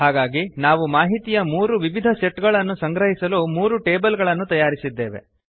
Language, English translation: Kannada, So we created three tables to store three different sets of information